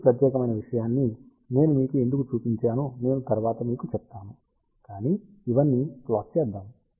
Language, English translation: Telugu, I will tell you little later why I have shown you this particular thing, but let us plot these thing